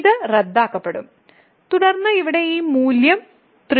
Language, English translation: Malayalam, So, this gets cancelled and then this value here is nothing, but 3